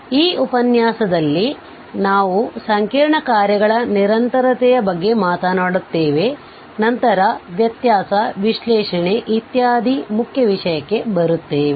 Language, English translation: Kannada, So, in this lecture we will be talking about the continuity of complex functions and then we will come to the main topic of differentiability, analyticity, etc